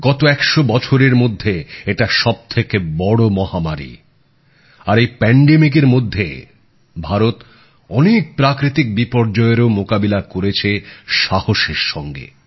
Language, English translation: Bengali, This has been the biggest pandemic in the last hundred years and during this very pandemic, India has confronted many a natural disaster with fortitude